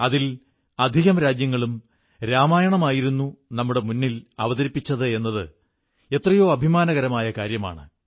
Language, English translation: Malayalam, And it's a matter of immense pride that a majority of these countries presented the Ramayan in front of us